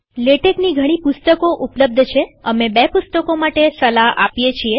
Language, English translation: Gujarati, There are many books on Latex, we recommend two